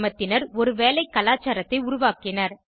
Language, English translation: Tamil, Villagers developed a work culture